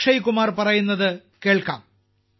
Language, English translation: Malayalam, Come, now let's listen to Akshay Kumar ji